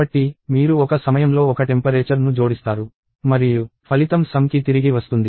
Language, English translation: Telugu, So, you add one temperature at a time and the result goes back to sum